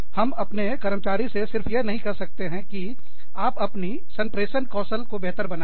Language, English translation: Hindi, We cannot just tell an employee, okay, improve your communication skills